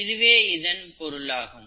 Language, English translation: Tamil, That is what it means